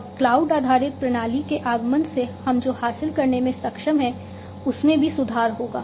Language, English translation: Hindi, And the emergence of cloud based system will also improve upon what we have been able to achieve